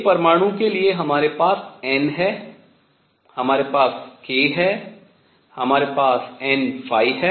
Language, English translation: Hindi, For an atom we have n, we have k, we have n phi